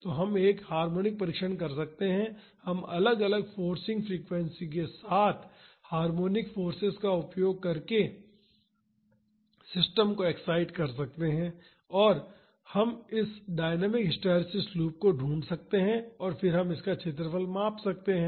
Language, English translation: Hindi, So, we can do a harmonic test, we can excite the system using harmonic forces with different forcing frequency and we can find this dynamic hysteresis loop then we can measure its area